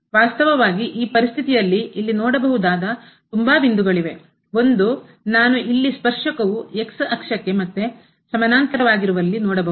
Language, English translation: Kannada, Indeed in this situation there are more points one I can see here where tangent is again parallel to the